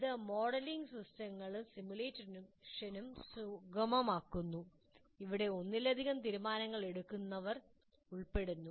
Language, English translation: Malayalam, So it facilitates modeling systems and simulating where it consists of multiple decision makers